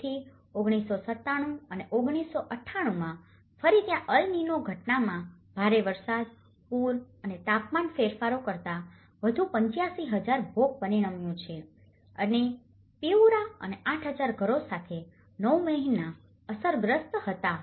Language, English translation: Gujarati, So, again in 1997 and 1998, there is El Nino phenomenon which about 9 months with heavy rain, floods and changes in temperature that has resulted more than 85,000 victims and Piura and 8,000 homes were affected